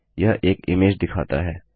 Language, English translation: Hindi, This will display an image